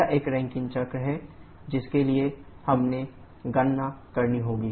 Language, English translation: Hindi, These are Rankine cycle for which we have to be the calculation